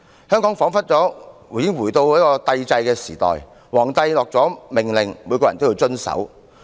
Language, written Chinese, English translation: Cantonese, 香港彷彿回到帝制時代，皇帝頒下命令，每個人均要遵守。, It seems that Hong Kong has returned to the imperial era when everyone has to comply with the kings order